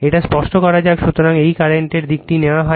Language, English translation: Bengali, So, this is the direction of the current is taken, right